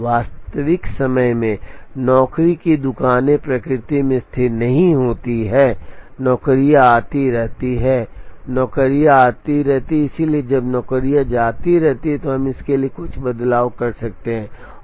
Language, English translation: Hindi, In real time job shops are not static in nature, jobs keep coming jobs keep arriving, so when jobs keep arriving then we can make certain variance to it